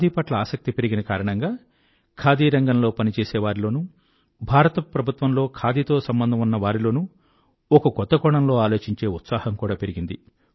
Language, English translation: Telugu, The increasing interest in Khadi has infused a new thinking in those working in the Khadi sector as well as those connected, in any way, with Khadi